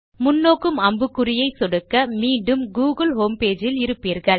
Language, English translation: Tamil, Click on the forward arrow to go back to the google homepage